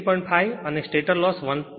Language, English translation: Gujarati, 5 and stator loss is 1